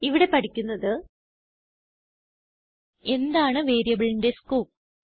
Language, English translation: Malayalam, In this tutorial we will learn, What is the Scope of variable